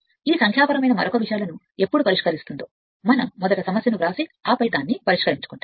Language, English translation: Telugu, Whenever you will solve all these numerical another things we will first write down the problem and then you solve it right